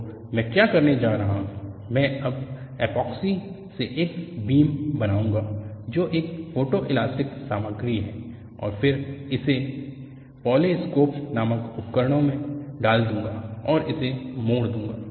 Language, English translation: Hindi, So, what I am going to do is I will now make a beam out of Epoxy which is a photoelastic material, and then put it in an equipment called the polar scope, and bend it